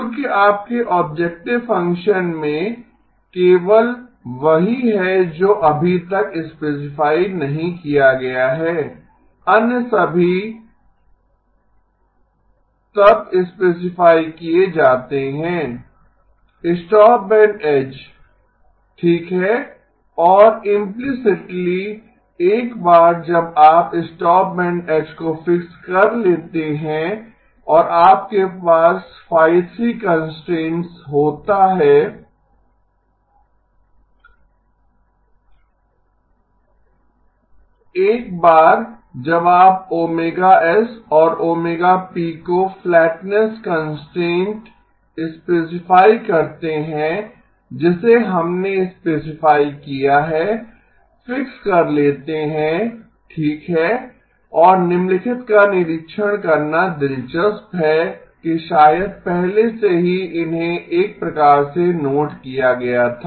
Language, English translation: Hindi, Because in your objective function that is the only one that is not yet specified, all the others then get specified, stopband edge okay and implicitly once you fix the stopband edge and you have constraints phi3, through phi3 this once you specify omega s omega p gets fixed because of the flatness constraint that we have specified gets fixed okay and interesting to observe the following may be already sort of noted that